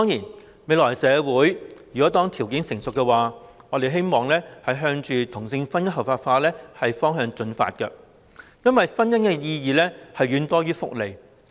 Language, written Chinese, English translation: Cantonese, 當未來的社會條件成熟時，我們當然希望能朝着同性婚姻合法化的方向進發，因為婚姻的意義實在遠多於其福利。, It is of course our hope to progress towards the legalization of same - sex marriage when we see more mature social conditions in the future because marriage means a lot more than its benefits